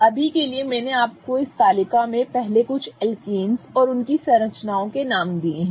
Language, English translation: Hindi, For now, I have given you the names of the first few alkanes and their structures in this table